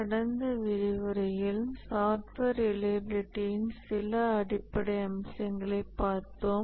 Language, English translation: Tamil, In the last lecture we at some very basic aspects of software reliability